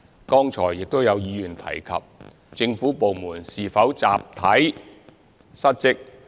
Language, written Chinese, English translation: Cantonese, 剛才亦有議員提及，政府部門是否集體失職。, Members have also queried earlier whether it is collective dereliction of duty on the part of government departments